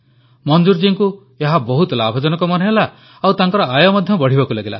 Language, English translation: Odia, Manzoor Ji found this to be extremely profitable and his income grew considerably at the same time